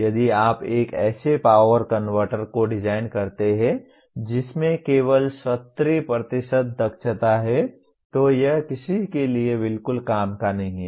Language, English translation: Hindi, If you design one power converter that has only 70% efficiency it is of absolutely no use to anybody